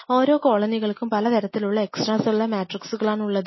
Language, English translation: Malayalam, I should have the right set of extra cellular matrix